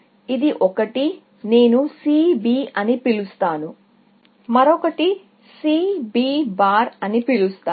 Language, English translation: Telugu, This one, I will call C B, and the other, I will call C B bar